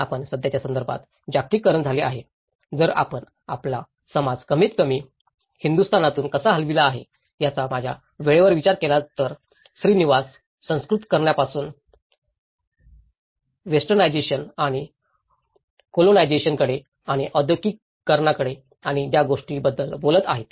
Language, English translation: Marathi, In our present context, the globalised so, if we look at the time frame of how our society have moved at least from India, what I mean Srinivas talks about from the Sanskritization, to the westernization and to the colonization and to the industrialization and to the modernization and now today, we are living in the globalization